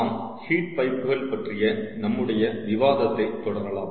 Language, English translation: Tamil, ah, um, we will continue with our discussion on heat pipes